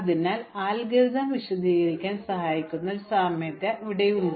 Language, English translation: Malayalam, So here is an analogy which will help explain the algorithm